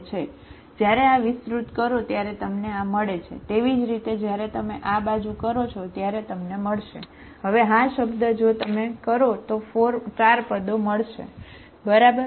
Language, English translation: Gujarati, This is what you get when expand this one, similarly when you do this side, you will get, now this term if you do it, 4 terms you will get, okay